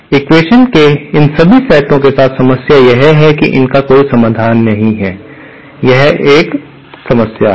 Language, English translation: Hindi, The problem with all these sets of equation is that they do not have any solution, that is a problem